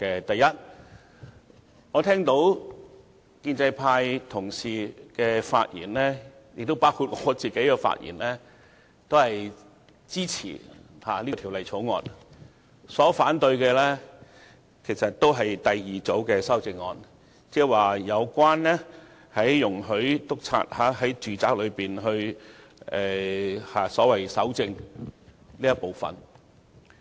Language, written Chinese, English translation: Cantonese, 第一，建制派同事，亦包括我均發言支持《條例草案》，反對的是第二組修正案，有關容許督察在住宅內搜證的部分。, First of all colleagues from the pro - establishment camp including me all speak in support of the Bill . We only raise our objection to the second group of amendment in which an inspector is allowed to collect evidence in domestic premises